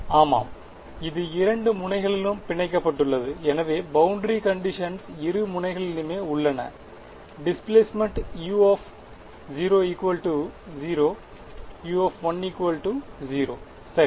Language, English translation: Tamil, Yeah, it is clamped at two ends, so the boundary conditions are at both ends; the displacement u of 0 should be equal to 0 and u of l should be equal to 0 ok